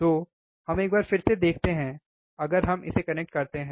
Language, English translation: Hindi, So, let us see once again, if we connect it